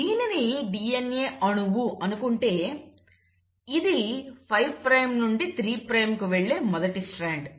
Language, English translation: Telugu, Let us say this is a DNA molecule, this is the first strand going 5 prime to let us say 3 prime